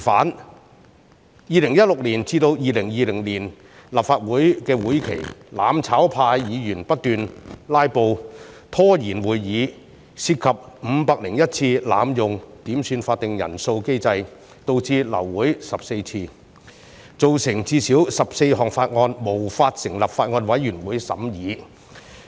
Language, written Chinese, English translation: Cantonese, 在2016年至2020年的立法會會期內，"攬炒派"議員不斷"拉布"拖延會議，涉及501次濫用點算法定人數機制，導致流會14次，造成最少14項法案無法成立法案委員會審議。, Some even opposed everything for the sake of opposition . During the legislative sessions from 2016 to 2020 Members from the mutual destruction camp kept on staging filibusters to delay Council meetings . They abused the quorum call mechanism by making 501 calls and thus caused the abortion of 14 meetings and the failure to form at least 14 Bills Committees